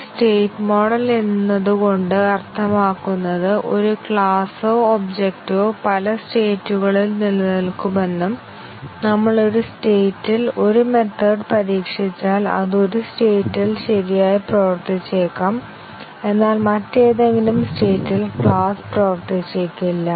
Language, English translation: Malayalam, A significant state model that means that a class or an object can exist in a number of states and if we test a method in one of the state it may be working correctly in one state, but it may not be working when the class is in some other state